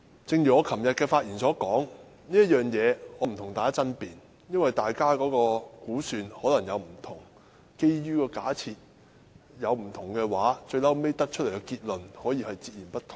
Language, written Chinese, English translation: Cantonese, 正如我昨天發言時所說，我不會與大家爭辯這一點，因為大家的估算可能不一樣，基於假設不同，最終得出的結論也可以截然不同。, As I said yesterday I will not contest this point with Members because we may have based our views on different assumptions and different assumptions will lead to different conclusions